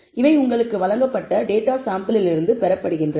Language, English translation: Tamil, These are obtained from data from the sample of data that you are given